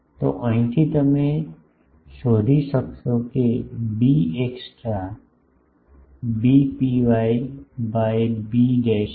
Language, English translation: Gujarati, So, from here you can find b extra is b rho 1 by b dash